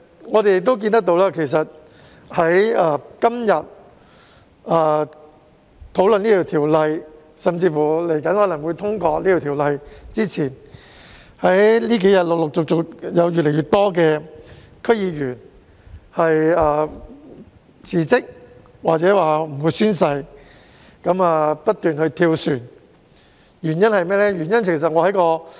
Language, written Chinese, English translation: Cantonese, 我們亦看到，在今天討論這項《條例草案》，甚至《條例草案》很有可能獲通過前，近日陸續有越來越多區議員辭職或表明不會宣誓，不斷"跳船"，原因為何？, We also noticed that as it is highly likely for the Bill under discussion today to get passed more and more DC members have resigned or indicated that they will not take the oath . Why do they keep jumping ship?